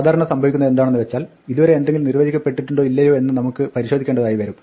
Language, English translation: Malayalam, Now, usually what happens is that we want to check whether something has been defined or not so far